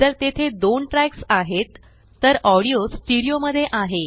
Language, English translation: Marathi, If there are 2 tracks, then the audio is in STEREO